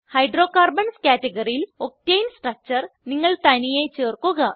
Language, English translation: Malayalam, Add Octane structure to Hydrocarbons category, on your own